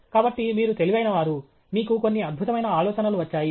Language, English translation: Telugu, So, you are brilliant; you got some brilliant ideas